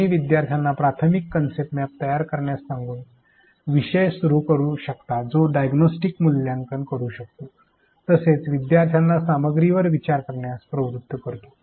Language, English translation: Marathi, You may start with the topic by asking the learners to construct an initial concept map which provides diagnostic assessment as well as leads the learners to think over the content